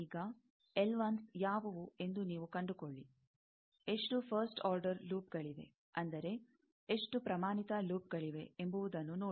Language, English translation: Kannada, Now, you find out what are L 1s; how many first order loops are there; that means, how many standard loops are there